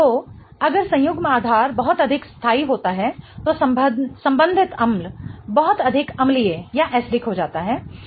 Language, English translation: Hindi, So, if the conjugate base is much more stable, the corresponding acid becomes much more acidic